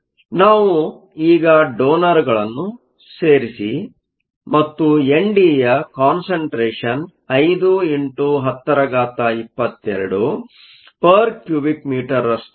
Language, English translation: Kannada, So, We now add donors and the concentration N D is 5 times 10 to the 22 per meter cube